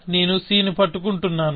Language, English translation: Telugu, I am holding c